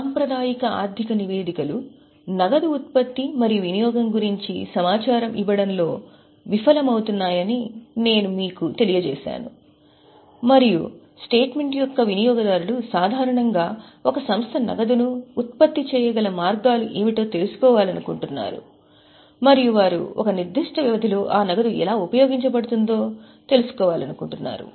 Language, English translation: Telugu, I have just informed you that the traditional financial statements they fail to give information about generation and utilization of cash and users of the statement usually want to know what are the ways an enterprise is able to generate the cash and they also want to know how that cash is utilized in a particular period